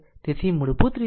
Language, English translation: Gujarati, So, basically it will be your 3